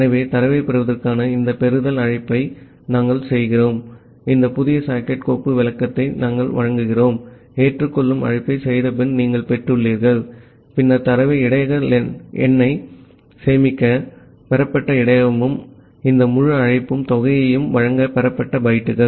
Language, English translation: Tamil, So, we make this receive call to receive the data, we will provide this new socket file descriptor that, you have received after making the accept call and then the received buffer to store the data the buffer len and this entire call will return the amount of bytes that have been received